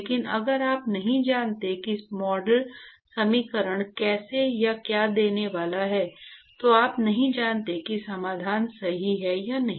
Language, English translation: Hindi, But if you do not know how the or what the model equation is going to give, you do not know whether the solution is right